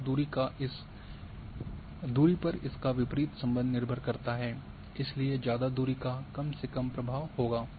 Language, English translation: Hindi, So, depending on the distance it is inverse relations, so further the distance least the influence it will have